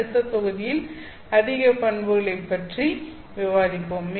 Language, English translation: Tamil, In the next module we will take up more properties